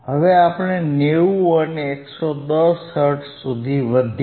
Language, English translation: Gujarati, So now, we increase it from, 50 to 70 hertz